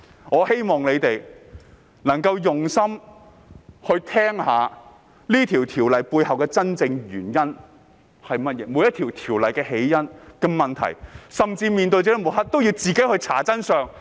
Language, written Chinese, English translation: Cantonese, 我希望大家用心聆聽《條例草案》背後的真正原因、每項條例的起因，甚至在面對抹黑時，也要自行查找真相。, I hope the public will listen attentively for the genuine reasons behind the Bill and the intent of every piece of legislation . Even in the face of slander the public should seek the truth themselves